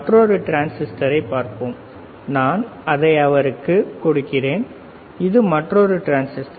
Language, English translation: Tamil, Transistor that I am giving it to him and this is another transistor